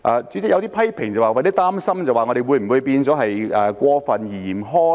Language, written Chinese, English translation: Cantonese, 主席，有些批評說有點擔心，我們會否變得過分嚴苛呢？, President there are some criticisms expressing concerns that whether we might become too harsh